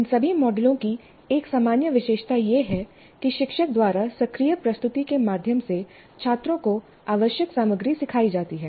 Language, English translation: Hindi, One general attribute of all these models is that essential content is taught to students via an active presentation by the teacher